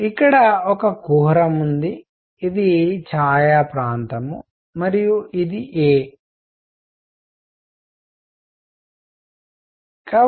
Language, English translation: Telugu, So here is this cavity, this was the shaded region and this is a